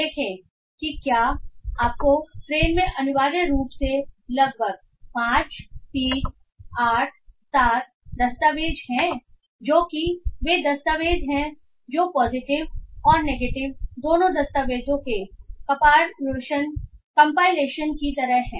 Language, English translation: Hindi, So if you find train essentially has about 5387 documents which are those documents which are like compilation of both positive and negative documents